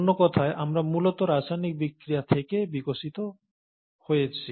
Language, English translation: Bengali, In other words, we have essentially evolved from chemical reactions